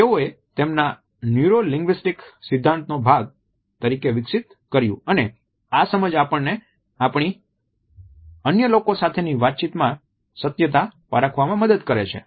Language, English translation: Gujarati, They developed it is a part of their neuro linguistic theories and this understanding helps us to judge the truthfulness in our interaction with other people